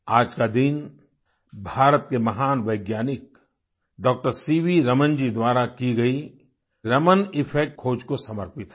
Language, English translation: Hindi, The day is dedicated to the discovery of 'Raman Effect' by the great scientist of India, Dr C